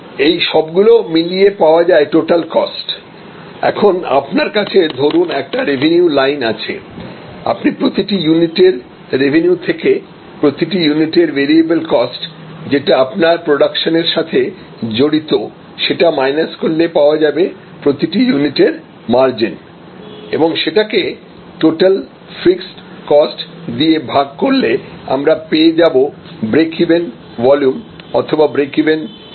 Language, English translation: Bengali, Together they cost the total cost, now if we have a revenue line and so the unit cost minus the variable cost, which is linked that unit production gives us the margin per unit and the total fixed cost divided by that margin per unit gives us the break even volume or the break even sales